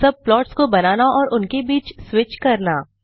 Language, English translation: Hindi, Create subplots to switch between them